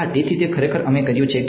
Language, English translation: Gujarati, Yeah; so, that is actually what we have done